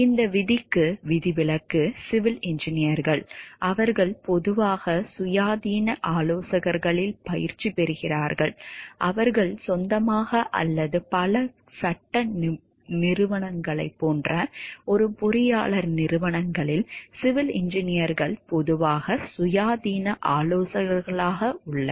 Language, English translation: Tamil, The exception to this rule is civil engineers, who generally practice in independent consultants, either in their own or an engineer firms similar to many law firms so, civil engineers are generally practices independent consultants